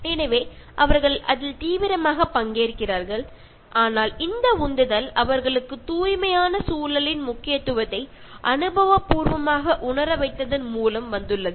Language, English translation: Tamil, So, they actively participate in that, but the motivation has come from just making them experientially feel this significance of pure environment